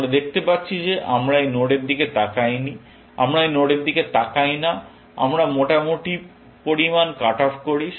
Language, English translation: Bengali, We can see that we did not look at this node; we do not look at this node, and we did a fair amount of cut off